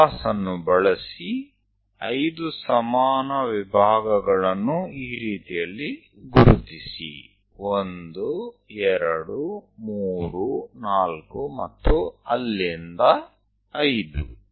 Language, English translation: Kannada, Use your compass to locate 5 equal divisions, something like 1, from there 2, 3, 4, 5